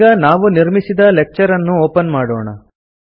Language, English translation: Kannada, Now let us open the lecture we created